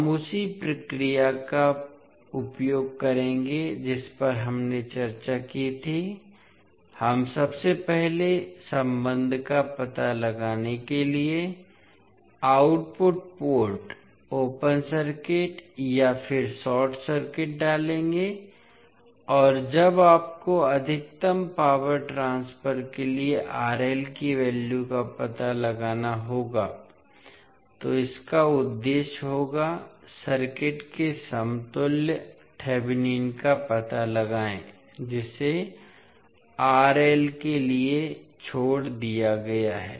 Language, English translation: Hindi, We will utilise the same process which we discussed, we will first put output port open circuit and then short circuit to find out the relationships and when you are required to find out the value of RL for maximum power transfer, the objective will be to find out the Thevenin equivalent of the circuit which is left to the RL